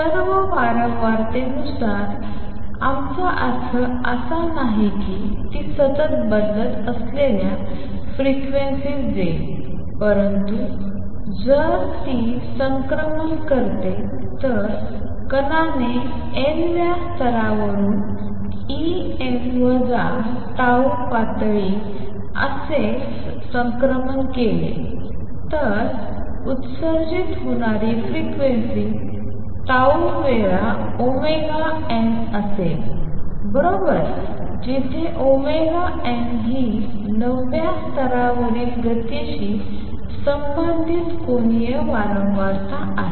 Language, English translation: Marathi, By all frequency, we do not mean that it will give out frequencies which are continuously varying, but if it makes a transition; if the particle makes a transition from nth level to say E n minus tau level, then the frequencies emitted would be tau times omega n; right where omega n is the angular frequency related to motion in the nth level